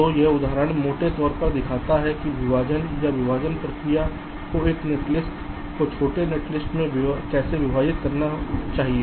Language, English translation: Hindi, so this example shows roughly how a partition or the partitioning process should split a netlist into a smaller netlist